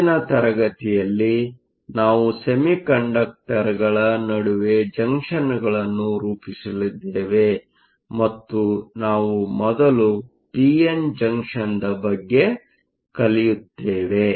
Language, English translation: Kannada, In next class, we are going to form junctions between semiconductors and the first one we will look at is the p n junction